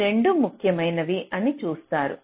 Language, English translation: Telugu, you see, both of these are important